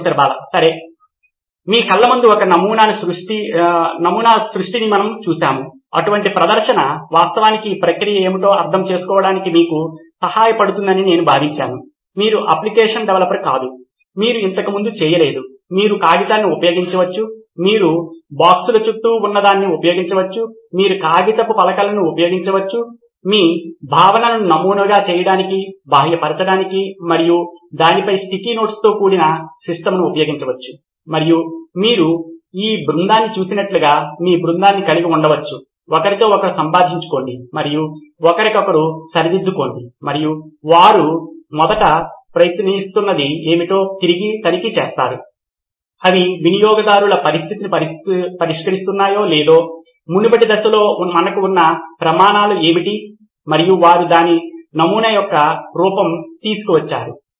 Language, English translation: Telugu, Okay so we saw the creation of a prototype right in front of your eyes, I felt that such a demo will actually help you understand what is the process involved, you are not a app developer, you have not done this before, you can use paper, you can use something that is lying around boxes, you can use paper plates, you can use just a sketch with sticky notes on it to model your concept, to externalize and you can have your team like you saw this team, interact with each other and correct each other and going and checking back what is it that they were originally attempting, they is it solving the users situation or not, what are the criteria that we had in the earlier phase and they brought it to this the form of a prototype